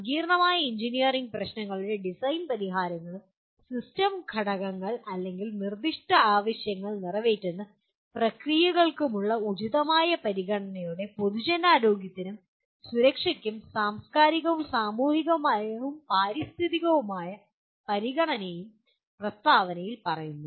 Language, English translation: Malayalam, The statement says design solutions for complex engineering problems and design system components or processes that meet the specified needs with appropriate consideration for the public health and safety and the cultural societal and environmental consideration